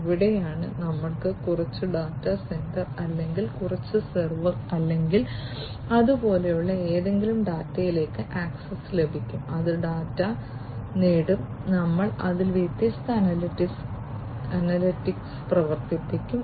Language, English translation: Malayalam, And this is where we will have some data center or simplistically some server or something like that which will get access to the data, which will acquire the data, and we will run different analytics on it, right